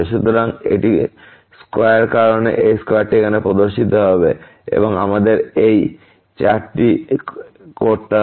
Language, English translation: Bengali, So, this is square because of the square this square will appear here, and we have to make this 4